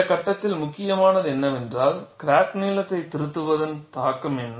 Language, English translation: Tamil, See, what is important at this stage is what is the influence of correction of crack length